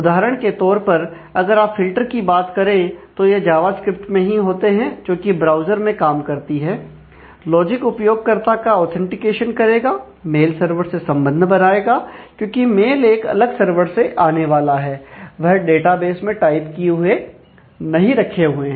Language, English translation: Hindi, So, for example, if you talk about filters they might often happen in the java script itself, that trans within the browser, the logic the business logic will do user authentication, connection to mail server because, a mails have to come from a different server, they are not they may not be setting typed in terms of the of the database itself